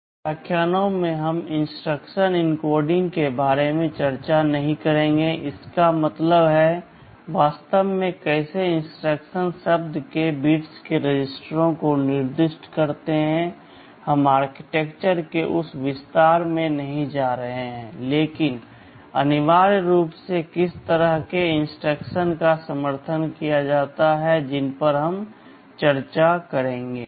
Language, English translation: Hindi, In these lectures we shall not be discussing about the instruction encoding; that means, exactly how the bits of the instruction word specify the registers; we shall not be going into that detail of the architecture, but essentially what kind of instructions are supported those we shall be discussing